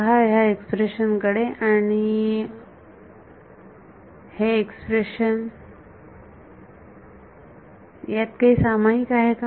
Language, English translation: Marathi, Look at this expression and this expression, is there something common